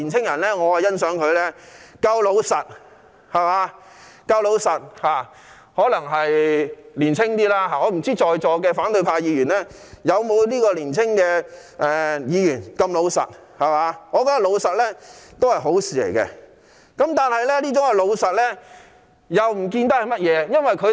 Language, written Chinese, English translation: Cantonese, 我很欣賞這位年青人夠老實，可能是他較年輕的緣故，我不知道在座的反對派議員是否也像這位年輕人般老實，而我認為老實是一件好事。, I highly appreciate this young man for his honesty probably because he is rather young . I wonder if opposition Members present at this meeting are as honest as this young man and I think it is good to be honest